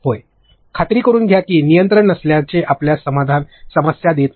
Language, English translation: Marathi, Make sure that was not control does not have to give you a problem